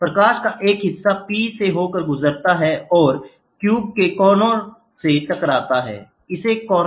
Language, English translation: Hindi, A portion of the light passes through P and strikes the corner cube, this is called as a corner cube